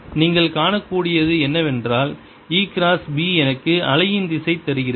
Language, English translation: Tamil, what you can see is that e cross b gives me the direction of the wave